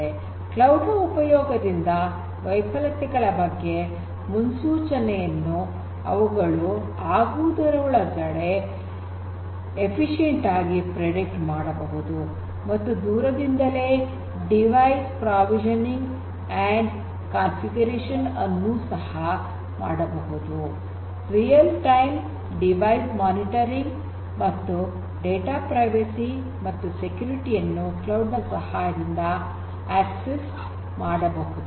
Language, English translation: Kannada, Prediction of failures before occurrences can be done in a much more efficient and efficient manner, device provisioning and configuration can be done remotely with the help of cloud, real time device monitoring can be done, data privacy and security access can be provided with the help of cloud